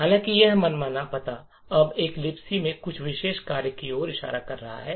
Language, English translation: Hindi, However, this arbitrary address is now pointing to some particular function in a LibC